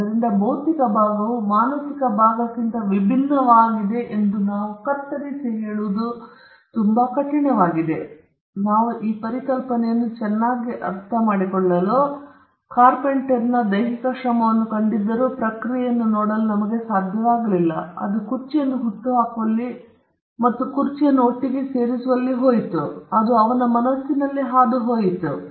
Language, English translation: Kannada, So, it’s very hard for us to cut and say the physical part is different from the mental part, but for us to understand this concept better, though we saw the carpenter exercising physical effort and physical labour, we were not able to see the process that went in conceiving the chair and in putting the chair together, which went in his mind